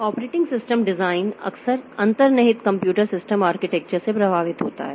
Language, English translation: Hindi, The operating system design is often influenced by the underlying computer system architecture